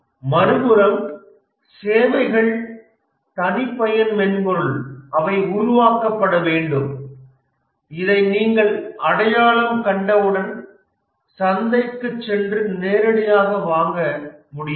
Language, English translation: Tamil, On the other hand, the services are custom software which needs to be developed once you identify this, you can just go to the market and directly get it